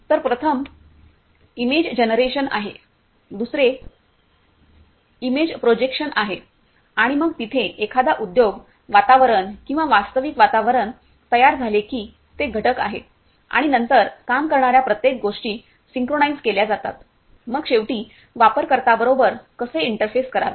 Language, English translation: Marathi, So, first is image generation, second is image projection and then there is there comes the once the industry environment or the actual environment is created and it is component and every other things then working is simulated synchronized, then the ultimately how to interface with the user